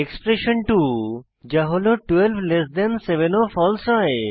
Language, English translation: Bengali, Expression 2 that is 127 is also false